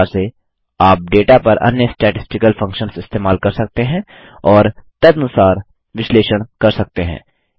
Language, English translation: Hindi, Similarly, you can use other statistical functions on data and analyze them accordingly